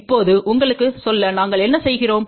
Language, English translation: Tamil, Now just to tell you, so what are we doing